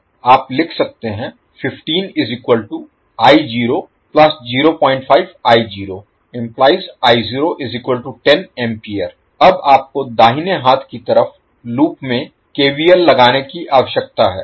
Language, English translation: Hindi, Now, you need to apply KVL to the loop on right hand side